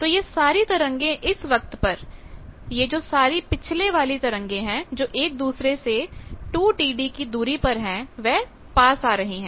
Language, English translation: Hindi, So, all these at a time all these previous ones separated each by 2 T d they are coming near